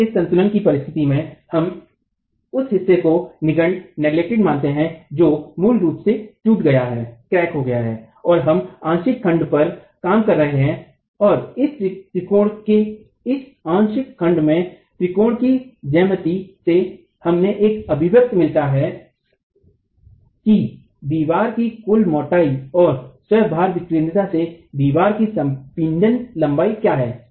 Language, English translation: Hindi, So with this condition for our equilibrium we are neglecting the portion which is basically cracked and we are working on the partial section and in this partial section from the triangle the geometry of the triangle we get an expression of what is the compressed length of the wall in terms of the total width of the total thickness of the wall and the eccentricity of the load itself